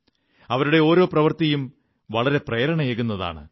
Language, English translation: Malayalam, Each and everything about them is inspiring